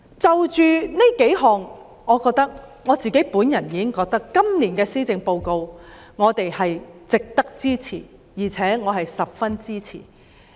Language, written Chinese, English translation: Cantonese, 單憑上述數項安排，我已認為今年的施政報告值得支持，且我是十分支持的。, In view of the several arrangements mentioned just now I consider the Policy Address this year worthy of support and I will strongly support it